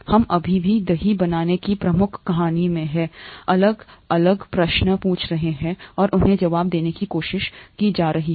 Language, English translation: Hindi, We are still in the major story of curd making, we are asking different questions and trying to answer them